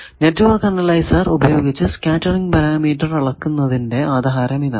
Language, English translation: Malayalam, This is the basis of network analysis, basis of scattering parameter measurement by network analyzer